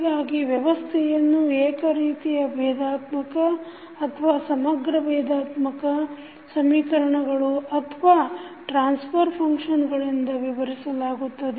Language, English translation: Kannada, So, the analogous systems are described by the same differential or maybe integrodifferential equations or the transfer functions